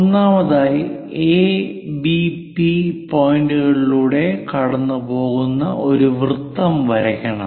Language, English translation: Malayalam, First of all, we have to construct a circle passing through A, P, B points